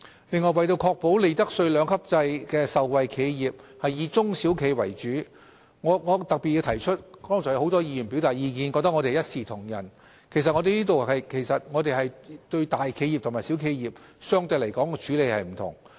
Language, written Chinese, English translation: Cantonese, 另外，為確保利得稅兩級制的受惠企業以中小企為主，我特別要提出，雖然剛才有許多議員表示覺得我們一視同仁，但其實我們對大企業和小企業有相對不同的處理方式。, In addition to ensure enterprises that benefit from the two - tiered profits tax rates regime are mainly SMEs I wish to highlight that we treat big businesses and SMEs in different ways despite the claims made by many Members that we treat all enterprises the same